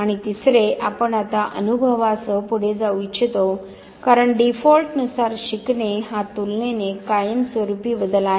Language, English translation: Marathi, And third we would like to now go ahead with the experience because learning by default is suppose to be a relatively a permanent change